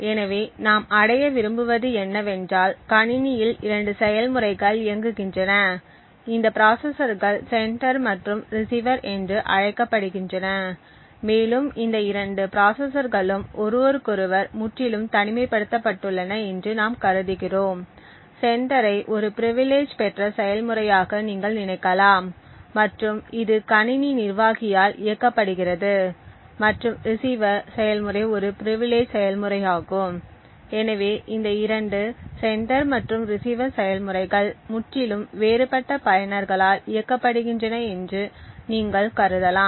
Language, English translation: Tamil, So what we want to achieve is that we have 2 processes running on the system these processors are called sender and receiver and we assume that these 2 processors are completely isolated from each other, you could think of a sender to be a privileged process something like which is run by the system administrator and the receiver process to be something which is an privilege process, so you can also assume that these 2 sender and receiver processes are run by totally different users